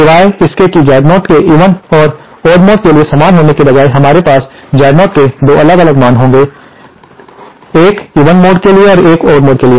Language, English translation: Hindi, Except that instead of Z0 being same for the even and odd modes, we will have 2 different values of Z0, one for the even mode and one for the odd mode